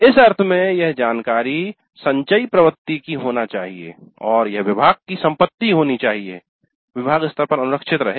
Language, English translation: Hindi, In that sense, this information should be cumulative in nature and should become an asset of the department maintained at the department level